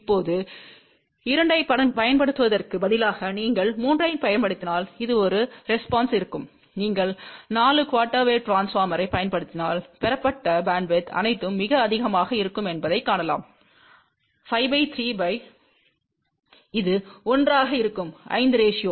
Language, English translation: Tamil, Now, instead of using 2, if you use 3 , so this will be the response, if you use 4 quarter wave transformer , then you can see that the bandwidth obtain will be all most 5 by 3 divided by 1 by 3 which will be 1 is to 5 ratio